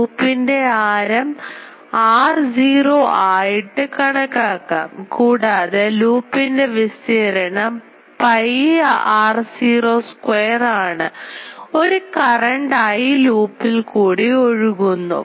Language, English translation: Malayalam, So, as we have seen that this loop radius is r naught and so, the area of the loop is pi r naught square and a current I is flowing in the loop